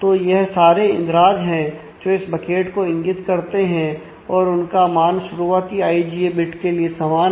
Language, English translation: Hindi, So, this is the all the entries that point to this bucket has the same value on the first i j bits